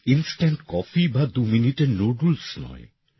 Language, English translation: Bengali, It is not instant coffee or twominute noodles